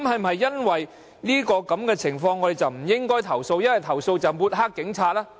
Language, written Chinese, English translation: Cantonese, 對於這種事件，我們是否不應投訴，而投訴便會抹黑警方？, In the face of such incidents should we not lodge complaints? . Is lodging a complaint tantamount to discrediting the Police?